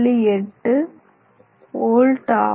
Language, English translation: Tamil, That means, 39 volts